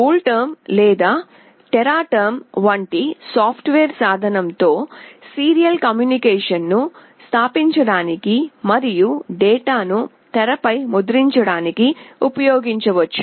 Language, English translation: Telugu, The software tool such as CoolTerm or Teraterm can be used to establish the serial communication and to print the data on the screen